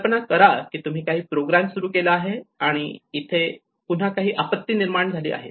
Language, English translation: Marathi, Imagine you have started some program and imagine some calamity have occurred again